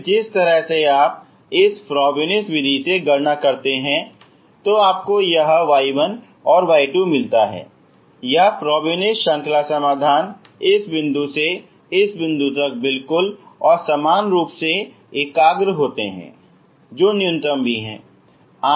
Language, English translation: Hindi, Then the way you calculate from this Frobenius method you get this y 1 y 2 this Frobenius series solutions converge absolutely and uniformly from this point to this point whichever is the minimum